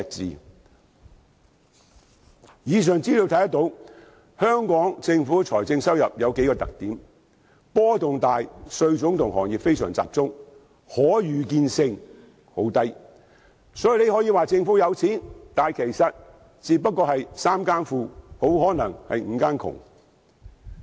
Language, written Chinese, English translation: Cantonese, 從以上資料可見，香港政府的財政收入有數個特點：波動大、稅種和行業非常集中、可預見性十分低，所以大家可以說政府富有，但可能只是"三更富，五更窮"。, These data showed that the revenue structure of the Government is characterized by great fluctuations narrow tax types and sectors and low predictability . So people can say the Government is rich but it may simply be wealthy this moment but penniless the next